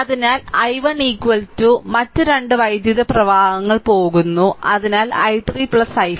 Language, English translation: Malayalam, So, i 1 is equal to other 2 currents are leaving; so, i 3 plus i 5, right